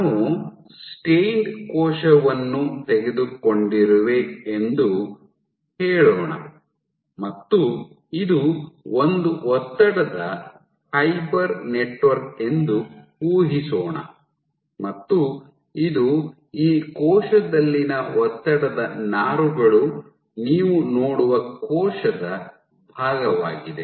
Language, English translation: Kannada, So, if we take let us say, so, if we take a cell let us say which is stained imagine this is one stress fiber network this is portion of a cell where you see stress fibers in this cell